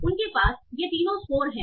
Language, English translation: Hindi, So they have all these three scores